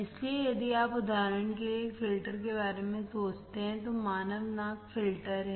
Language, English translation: Hindi, So, if you think about a filter for example, human nose is the filter